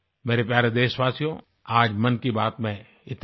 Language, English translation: Hindi, My dear countrymen, this is all that this episode of 'Mann Ki Baat' has in store for you today